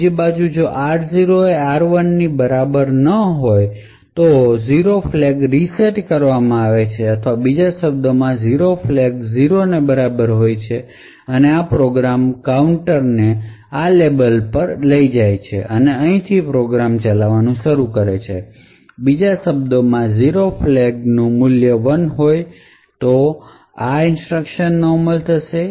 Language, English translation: Gujarati, On the other hand if r0 is not equal to r1 then the 0 flag is reset or in other words the 0 flag is equal to 0 and this particular check would cause the program counter to jump to this label and start to execute from here, or in other words what we see over here is a value of 0 flag set to 1 would cause these instructions to be executed